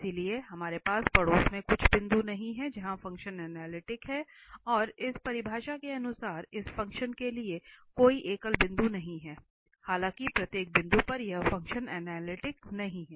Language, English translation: Hindi, So, we do not have some point in the neighbourhood where the function is analytic, and therefore, according to this definition itself there is no singular point for this function though every point, at every point this function is not analytic